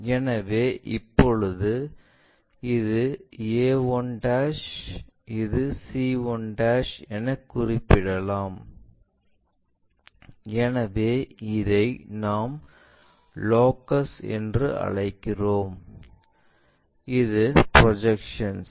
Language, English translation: Tamil, So, now, in new notation this is a 1', this is c 1' and this point which is projected, so this is what we calllocus and this is the projection